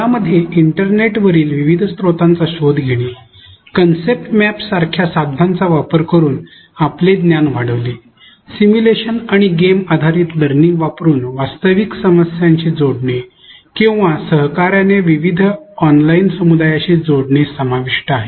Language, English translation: Marathi, This includes exploring different resources on the internet, constructing your knowledge using tools such as concept maps, connecting to real whole problems using simulations and game based learning or connecting to various online communities for collaboration